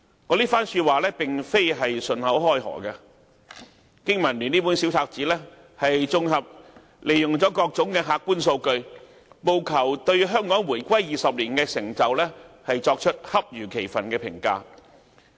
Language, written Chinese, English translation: Cantonese, 我這番話並非信口開河，經民聯這本小冊子綜合了各種客觀數據，務求對香港回歸20年的成就作出恰如其分的評價。, My comments are not groundless . In this pamphlet BPA has collated various objective data so as to make an appropriate evaluation of Hong Kongs accomplishments in the two decades after the reunification